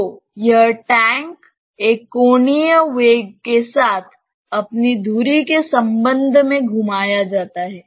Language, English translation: Hindi, So, this tank is rotated with respect to its axis with an angular velocity omega